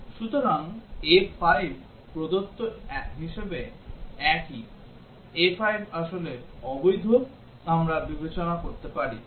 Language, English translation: Bengali, So A5 is also as same as given; A 5 is actually invalid, we can consider